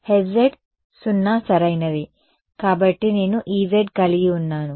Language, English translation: Telugu, H z was 0 right; so, I had E z